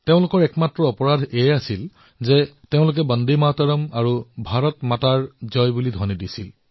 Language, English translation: Assamese, Their only crime was that they were raising the slogan of 'Vande Matram' and 'Bharat Mata Ki Jai'